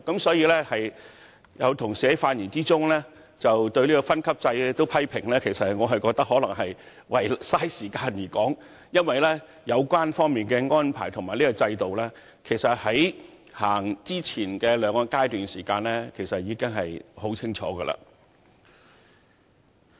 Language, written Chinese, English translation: Cantonese, 因此，當有同事在發言時連有關分級制也作出批評時，我認為只是為了消耗時間，因為有關安排在制度實施的前兩個階段已清楚說明。, Therefore it is reasonable to set out the grading levels . In this connection when colleagues criticized even the grading system in their speeches I think they only intended to burn time because this arrangement had been clearly accounted for upon implementation of the system in the first two phases